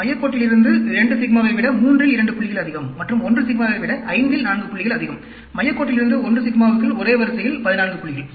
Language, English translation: Tamil, 2 out of 3 points more than 2 sigma, 4 out 5 points more than 1 sigma from the center line, 14 points in a row within 1 sigma from the center line